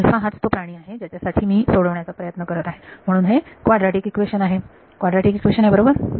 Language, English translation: Marathi, Alpha is the guy that I am trying to solve for, so it is a quadratic equation; it is a quadratic equation right